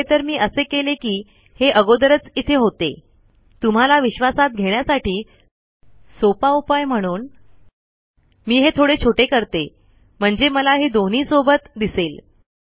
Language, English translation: Marathi, In fact, what I did was, it was already there, so then easiest way to convince you is, let me just, make it smaller, so I can see both simultaneously